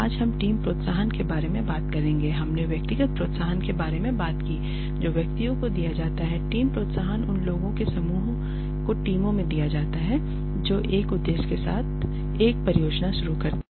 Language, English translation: Hindi, Today we will talk about team incentives the we talked about individual incentives which are given to individuals team incentives are given to teams to groups of people who undertake a project with a purpose